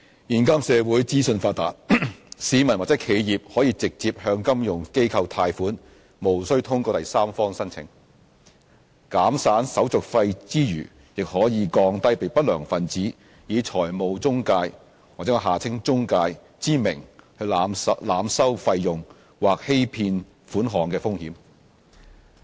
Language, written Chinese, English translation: Cantonese, 現今社會資訊發達，市民或企業可以直接向金融機構貸款，無須通過第三方申請，減省手續費之餘，亦可降低被不良分子以財務中介之名濫收費用或欺騙款項的風險。, Thanks to advanced development of information technology members of the public or enterprises can secure loans from financial institutions directly without having to submit an application through a third party . This can reduce not only the administrative fees but also the risk of borrowers being overcharged or cheated of money by unscrupulous people under the name of financial intermediaries